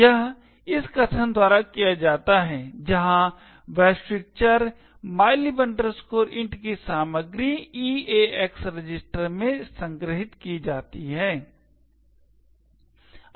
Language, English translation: Hindi, This is done by this statement where the contents of the global variable mylib int is stored in the EAX register